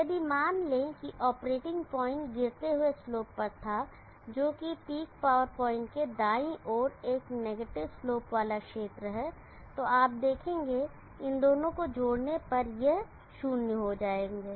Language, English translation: Hindi, If suppose the operating point had been on the falling slope that is a negative slope region to the right of the peak power point, you will see that these two on adding will becomes zero